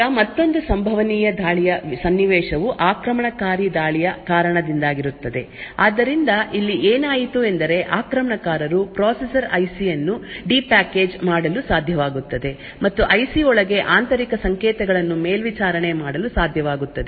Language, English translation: Kannada, Now another possible attack scenario is due to invasive attack, So, what happened over here is that attackers may be able to de package the processor IC and will be able to monitor internal signals within the IC